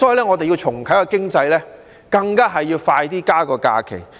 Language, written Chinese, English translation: Cantonese, 我們要重啟經濟，更要加快增加假期。, We must relaunch the economy and advance the pace of increasing additional holidays